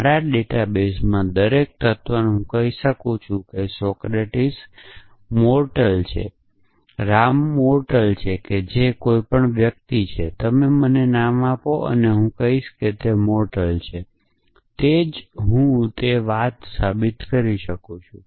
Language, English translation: Gujarati, Every element in my database I could say Socratic is mortal, Ram is mortal whoever essentially, anybody you give me a name and I will say he is mortal that is why I could prove that thing